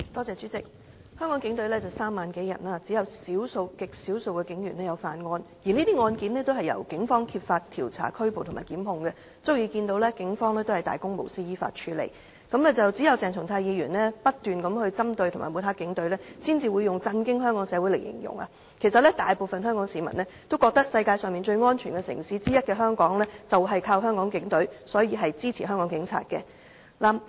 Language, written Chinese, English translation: Cantonese, 主席，香港警隊有3萬多人，只有極少數警員犯案，而這些案件均由警方揭發、調查、作出拘捕及檢控，足證警方能大公無私地依法處理，只有鄭松泰議員不斷針對及抹黑警隊，才會用"震驚香港社會"來形容，其實大部分香港市民都覺得香港能成為世界上其中一個最安全的城市，就是全靠香港警隊，所以他們支持香港警方。, The exposure and investigation of and arrests and prosecutions in these cases were made by the Police thus proving that the Police can take action impartially according to law . Only Dr CHENG Chung - tai who keeps targeting and smearing the Police Force will describe the matter as shocking Hong Kong society . In fact most of the people of Hong Kong appreciate the efforts of the Hong Kong Police Force in making Hong Kong one of the safest cities in the world so they support the Hong Kong Police